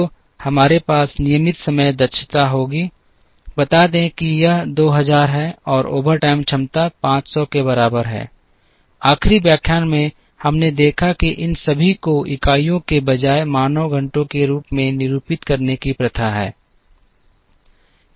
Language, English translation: Hindi, So, we will have regular time capacity, let us say is 2000 and overtime capacity is equal to 500; in the last lecture we saw that it is customary to denote all these as man hours instead of units